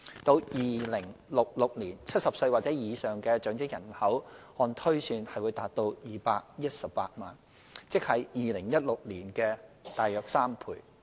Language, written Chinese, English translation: Cantonese, 至2066年 ，70 歲或以上長者人口按推算達218萬，即為2016年的約3倍。, In 2066 the number of elderly persons aged 70 or above is projected to reach 2.18 million which is about three times of that in 2016